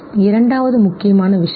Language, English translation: Tamil, The second important thing